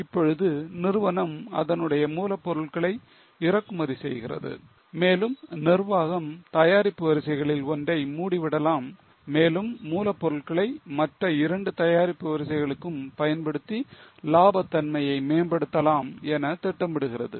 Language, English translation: Tamil, Now, the company imports its raw material and the management is planning to close down one of the lines of products and utilize the material for the other two lines for improving the profitability